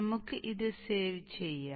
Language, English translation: Malayalam, Let us save this